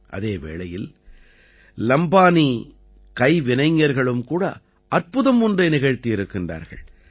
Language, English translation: Tamil, At the same time, the Lambani artisans also did wonders